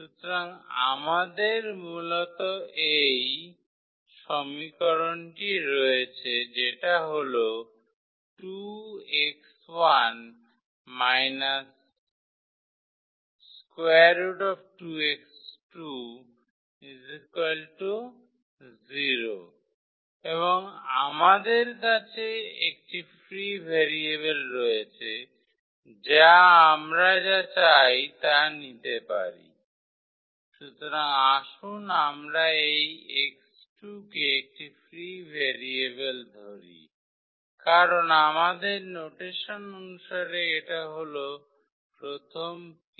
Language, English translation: Bengali, So, we have basically this first equation which says that 2 x 1 minus square root 2 x 2 is equal to 0 and we have one free variable which we can take whichever we want, so let us take this x 2 is a free variable because as per our notations here this is the first the p both here